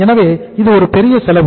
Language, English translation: Tamil, So it is a big cost